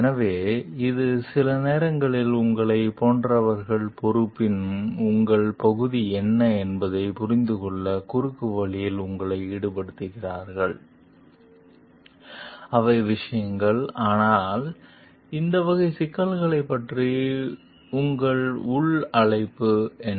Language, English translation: Tamil, So, this like sometimes who puts you in cross routes to understand like what is your part of responsibility, which are the things like, but what is your inner call regarding these type of issues